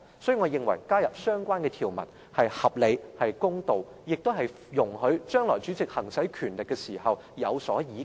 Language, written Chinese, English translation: Cantonese, 因此，我認為加入相關條文是合理、公道，亦容許主席將來在行使權力時有所倚靠。, Hence I consider the addition of the relevant provision reasonable and fair which will also provide a certain basis for the President in exercising his power in future